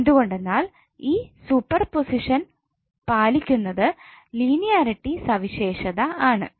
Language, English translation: Malayalam, Because this super position is following the linearity property